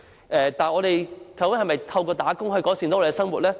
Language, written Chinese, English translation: Cantonese, 我們可以透過工作改善生活嗎？, Can we improve our lot through work?